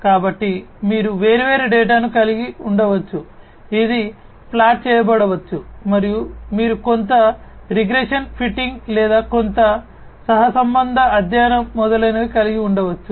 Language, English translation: Telugu, So, you can have different data which could be plotted and then you can have some kind of a regression fitting or some correlation study etcetera